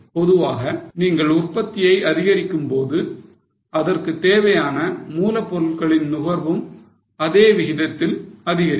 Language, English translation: Tamil, Normally when you increase your output, the raw material consumption will also increase in the same proportion